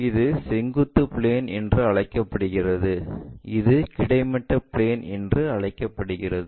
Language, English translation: Tamil, This is called vertical this is horizontal plane